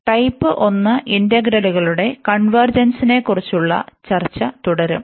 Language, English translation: Malayalam, So, we will continue on the discussion on the convergence of type 1 integrals